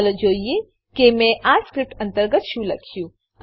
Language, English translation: Gujarati, Let us look at what I have written inside this script